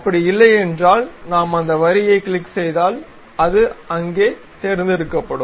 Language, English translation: Tamil, If that is not the case we go click that line then it will be selected there